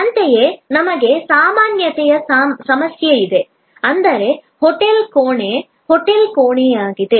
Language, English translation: Kannada, Similarly, we have the problem of generality, which means for example, a hotel room is a hotel room